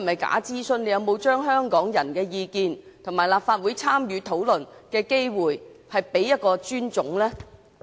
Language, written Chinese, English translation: Cantonese, 局長有否對香港人的意見及立法會參與討論的機會予以尊重呢？, Has the Secretary shown any respect to the views of Hongkongers and the opportunity for the Legislative Council to participate in the discussions?